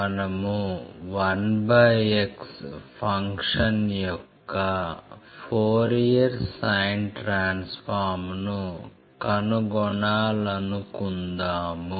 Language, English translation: Telugu, We want to find a Fourier sine transform of the function f x equals 1 by x